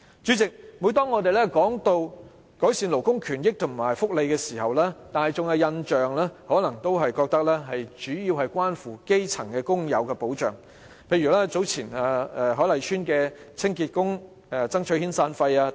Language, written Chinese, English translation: Cantonese, 主席，每當我們談及改善勞工權益和福利時，市民可能認為主要只關乎基層工友的保障，例如早前海麗邨清潔工人爭取遣散費等。, President whenever we talk about improving labour rights and welfare people may think that the protection is mainly for grass - roots workers only as in the earlier incident of cleansing workers of Hoi Lai Estate fighting for severance payments